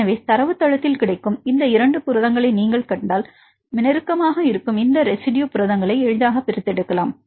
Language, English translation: Tamil, So, if you see these 2 proteins which is available in database, they then you can easily extract these 2 residue proteins which are close to each other and so on